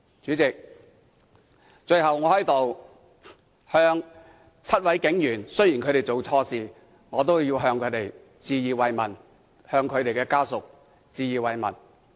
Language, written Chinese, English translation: Cantonese, 主席，最後，雖然7位警員做錯事，但我在此向他們及其家屬致以慰問。, Lastly President while the seven police officers have done something wrong I extend my sympathy to them and their families